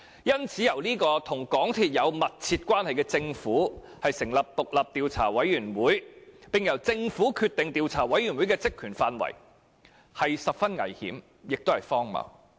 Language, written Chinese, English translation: Cantonese, 因此，由與港鐵公司有密切關係的政府成立獨立調查委員會，並決定該委員會的職權範圍，是十分危險和荒謬的做法。, For this reason it is utterly dangerous and ridiculous for the Government which is closely related to MTRCL to set up the independent Commission of Inquiry and determine its terms of reference